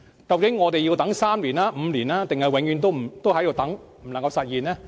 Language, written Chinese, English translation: Cantonese, 究竟我們要等三年、五年，還是永遠也不能實現？, How long will it take to realize this proposal three years five years or never?